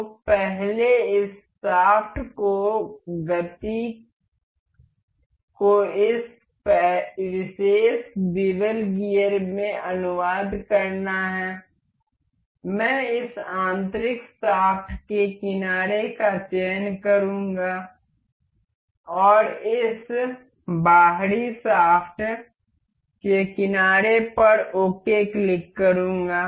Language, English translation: Hindi, So, for first this this shaft has to translate the motion to this particular bevel gear, I will select the edge of this inner shaft and the edge of this outer shaft click ok